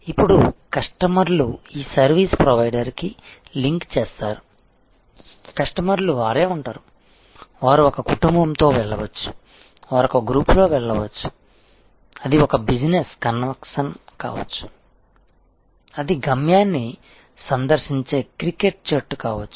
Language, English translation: Telugu, Now, customer's will link to this service provider, the customers themselves will be, you know they may go with a family, they may go in a group, it can be a business convention, it can be a cricket team visiting a destination